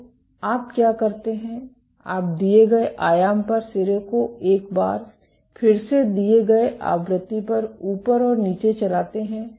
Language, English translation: Hindi, So, what you do is you drive the tip up and down at the given amplitude again a given frequency